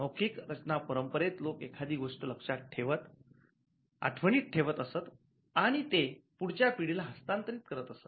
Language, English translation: Marathi, The overall formulaic tradition was a tradition by which people just memorized things and passed it on to the next generation